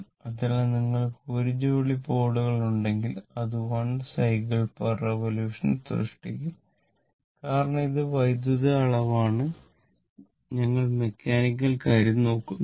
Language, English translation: Malayalam, So, if you have 1 pair of poles, that it will make 1 cycle per revolution because it is electrical quantity it is, you are not looking at the mechanical thing, we are looking at the electrical thing N S, N S